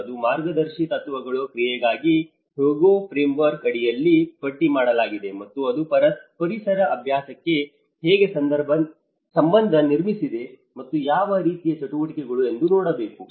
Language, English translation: Kannada, It talks about the guiding principles, what have been listed under the Hyogo Framework for Action and how it is relevant to the built environment practice and what kind of activities one has to look at it